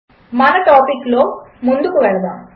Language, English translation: Telugu, Let us move further in our topic